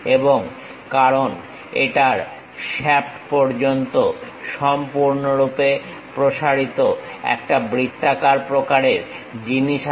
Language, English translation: Bengali, And because it is having a circular kind of thing extending all the way shaft